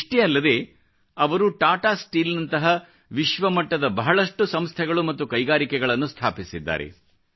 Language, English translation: Kannada, Not just that, he also established world renowned institutions and industries such as Tata Steel